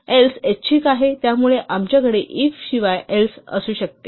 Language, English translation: Marathi, The else is optional, so we could have the 'if' without the else